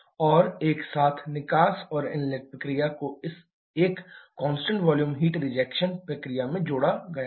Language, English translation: Hindi, And the exhaust and inlet process together has been coupled into this one constant volume heat rejection process